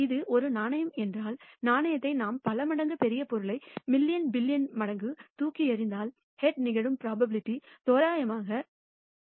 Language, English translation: Tamil, If it is a fair coin then if we toss the coin a large number of times large meaning million billion times, then the probability of head occurring would be approximately equal to 0